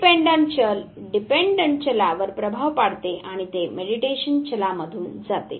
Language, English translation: Marathi, The independent variable influences the dependent variable and it goes through the mediating variable